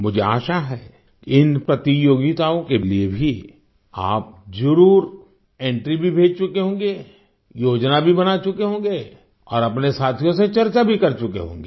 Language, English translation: Hindi, I hope that you certainly must have sent in your entries too for these competitions…you must have made plans as well…you must have discussed it among friends too